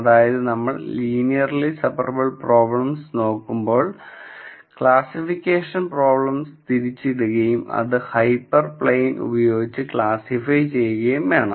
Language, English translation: Malayalam, So, in cases where you are looking at linearly separable problems the classification problem then becomes one of identifying the hyper plane that would classify the data